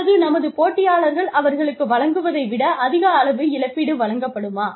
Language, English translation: Tamil, Or, we will give them more money, than our competitors, are giving them